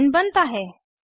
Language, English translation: Hindi, Ethane is formed